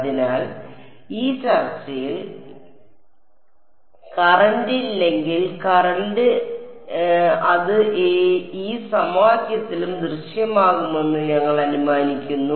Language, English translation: Malayalam, So, in this discussion we are assuming there is no current supplied if there were a current then it would also appear in this F H equation ok